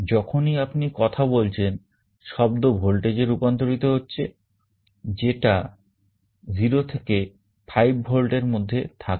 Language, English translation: Bengali, Whenever you are speaking sound is being converted into a voltage, which is in the 0 to 5 volts range